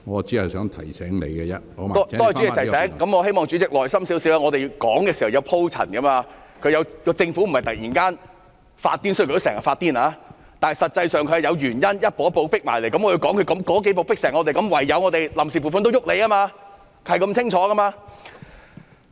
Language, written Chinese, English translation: Cantonese, 多謝主席提醒，我希望主席耐心一點，我們發言是要有鋪陳的，政府並非突然發瘋——雖然它經常發瘋——但實際上是步步進迫，我要解釋它如何迫得我們唯有對臨時撥款動手，這是很清楚的。, I hope the President shows more patience as I have to build up my argument . The Government does not go insane out of the blue―though it often goes insane―but is pressing forward step by step . I have to explain how it has forced us to take action against the funds on account